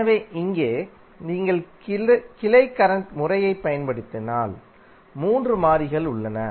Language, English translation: Tamil, So here, you have 3 variables if you use branch current method